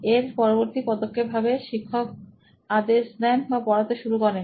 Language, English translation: Bengali, Then the next step would be the teacher starts instruction or teaching and